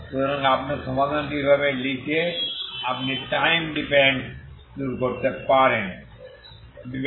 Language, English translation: Bengali, So by writing your solution like this you can remove this t time dependence